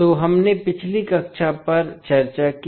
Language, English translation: Hindi, So, this we discussed the previous class